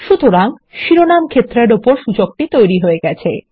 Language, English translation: Bengali, So there is our index on the title field